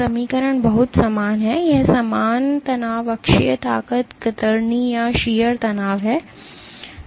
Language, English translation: Hindi, The equation is very similar this is normal stress axial strength shear stress shear strain